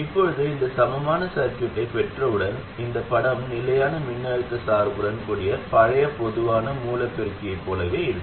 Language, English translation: Tamil, Now once we have this equivalent circuit, this picture looks exactly like our old common source amplifier with constant voltage bias